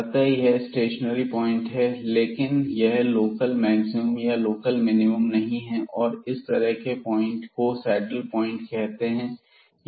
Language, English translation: Hindi, So, this is a stationary point, but this is not a local maximum or local minimum and such a point, such a point will be called as the saddle point